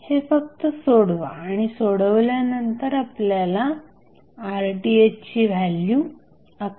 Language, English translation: Marathi, So, just solve it and when you will solve you will get the value of our Rth 11